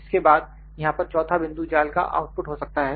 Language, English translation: Hindi, After that fourth point here could be the output of the mesh